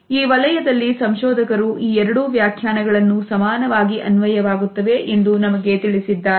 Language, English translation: Kannada, At the same time researchers in this area tell us that both these interpretations are equally applicable and available